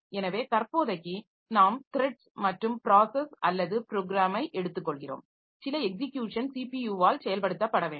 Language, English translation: Tamil, So, for the time being we take thread and process or program same, that is some execution, something that is to be executed by the CPU